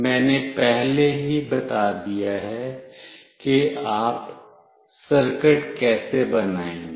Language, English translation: Hindi, I have already discussed how you will be making the circuit